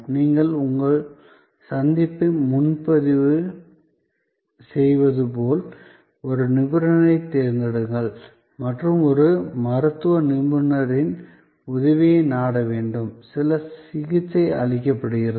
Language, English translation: Tamil, Like you have to book your appointment, search out a specialist and seek the help of a medical specialist, some treatment is given